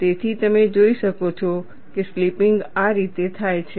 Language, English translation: Gujarati, So, you could see that slipping occurs like this